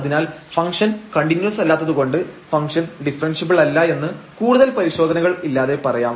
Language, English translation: Malayalam, So, the function is not continuous and hence the function is not differentiable without any further test